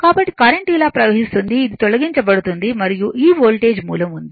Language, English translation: Telugu, So, current will flow like this , this is you remove and this Voltage source is there right